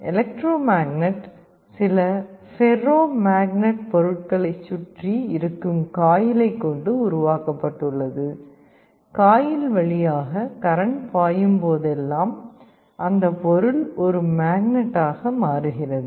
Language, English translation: Tamil, Electromagnet is constructed out of some ferromagnetic material with a coil around it; whenever there is a current flowing through the coil that material becomes a magnet